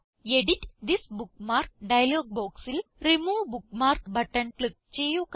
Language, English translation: Malayalam, From the Edit This Bookmark dialog box, click the Remove Bookmark button